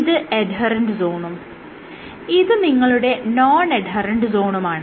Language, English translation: Malayalam, So, this is your adherent zone and this is non adherent zone